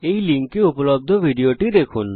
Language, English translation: Bengali, Watch the video available at this url